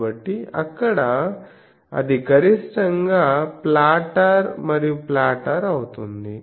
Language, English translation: Telugu, So, there it becomes maximally flatter and flatter